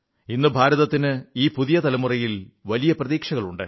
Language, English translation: Malayalam, Today, India eagerly awaits this generation expectantly